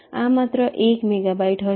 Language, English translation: Gujarati, this requires one megabyte